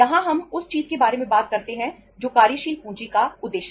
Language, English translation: Hindi, Here we talk about something that is the objectives of working capital